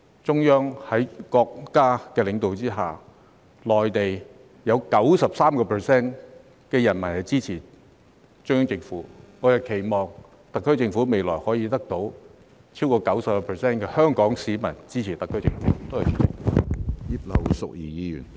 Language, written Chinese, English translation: Cantonese, 在國家領導人的管治下，內地有 93% 人民是支持中央政府的；我們期望特區政府未來亦可以得到超過 90% 香港市民的支持。, Under the governance of our national leaders 93 % of Mainland people support the Central Government and we hope that the SAR Government can also gain the support of over 90 % of Hong Kong people in the future